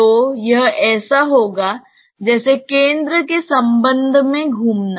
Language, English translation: Hindi, So, it will be as if swivelling with respect to the centre